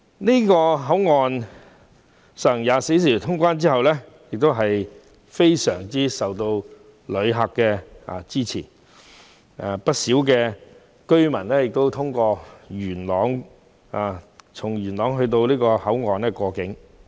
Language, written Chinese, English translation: Cantonese, 旅客均十分支持皇崗口岸24小時通關的措施，不少本港居民從元朗前往皇崗口岸過境。, Passengers strongly support the 24 - hour clearance service there at the Huanggang Port and many of the Hong Kong residents travel from Yuen Long to Huanggang to cross the boundary